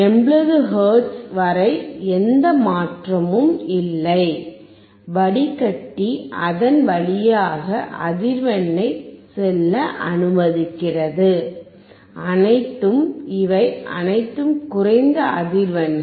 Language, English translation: Tamil, Up to 80 hertz there is no change; the filter is allowing the frequency to pass through; all these are low frequencies